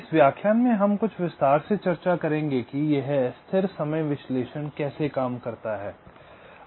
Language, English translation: Hindi, in this lecture we shall be discussing in some detail how this static timing analysis works